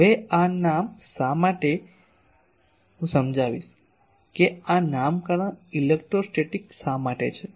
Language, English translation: Gujarati, Now, why this name I will now explain that why this nomenclature electrostatic etc